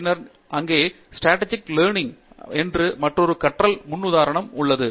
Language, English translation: Tamil, Then, there is also another learning paradigm called Strategic learning